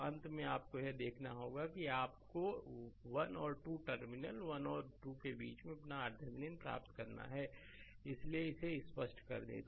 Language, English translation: Hindi, So, finally, you have to from that you have to get your R Thevenin in between 1 and 2 terminal 1 and 2 so, let me clear it